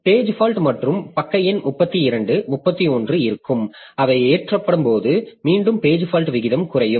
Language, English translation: Tamil, So now there will be page fault and the page number 32, 31 so they will be loaded and again page fault rate will decrease